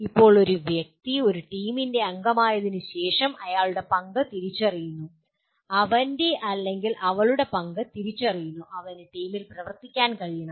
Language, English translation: Malayalam, Now an individual after becoming a member of a team and his role is identified, his or her role are identified, he should be able to, what does it mean ability to work in a team